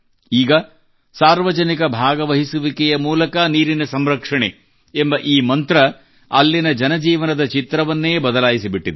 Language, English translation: Kannada, Now this mantra of "Water conservation through public participation" has changed the picture there